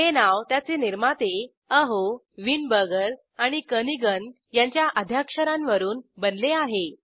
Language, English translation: Marathi, It is named after its authors, Aho, Weinberger and Kernighan